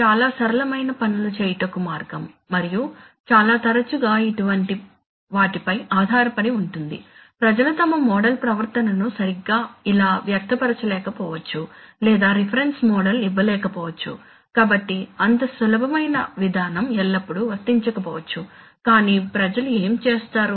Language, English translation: Telugu, Good morning, right so this is, this is a rather simplistic way of doing things and depends on so many things like you know more often than not people, may not be able to express their model behavior exactly like this or may not be exactly able to give a reference model, so such a simple procedure may not always be applicable but what people do